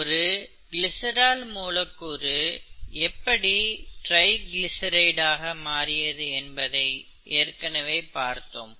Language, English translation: Tamil, In other words, we, we saw the triglyceride, right, the glycerol molecule being converted into triglycerides